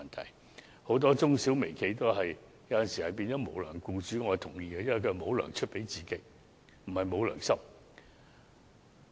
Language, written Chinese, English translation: Cantonese, 我認同很多中小微企有時會成為無"糧"僱主，因為他們沒能力出糧給僱員，而不是沒有良心。, I agree that many SMEs and micro enterprises may sometimes default on wage payment because they do not have the means to pay their employees not because they are unscrupulous